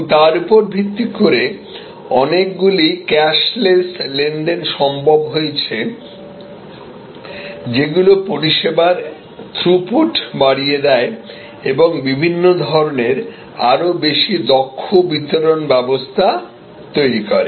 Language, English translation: Bengali, And based on that, many different cash less transactions become possible, enhancing the throughput of services and creating different sort of more efficient delivery mechanisms